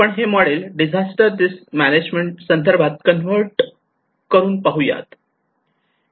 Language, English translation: Marathi, Let us look let us convert this model in disaster risk management context